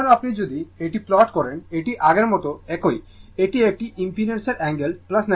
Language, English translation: Bengali, Now, if you plot this one, this is same as before this is angle of a impedance plus 90 degree, this is minus 90 degree right